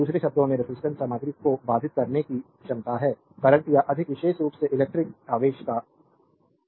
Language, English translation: Hindi, In other words, resistance is the capacity of materials to impede the flow of current or more specifically the flow of electric charge